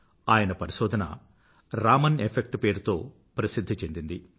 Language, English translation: Telugu, One of his discoveries is famous as the Raman Effect